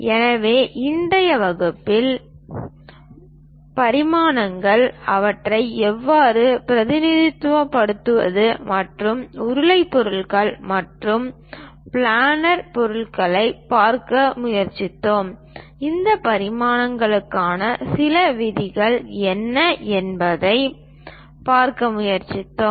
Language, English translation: Tamil, So, in today's class, we tried to look at dimensions, how to represents them and for cylindrical objects and also planar objects, what are the few rules involved for this dimensioning we tried to look at